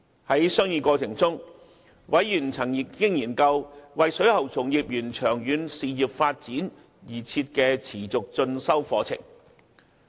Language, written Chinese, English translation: Cantonese, 在商議過程中，委員曾研究為水喉從業員長遠事業發展而設的持續進修課程。, In the course of deliberations members examined the continuing professional development programmescourses available for plumbing practitioners that would facilitate their long - term career development